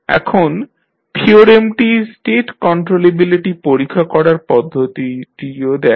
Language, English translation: Bengali, Now, theorem also gives the method of testing for the state controllability